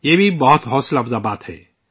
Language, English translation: Urdu, This is also very encouraging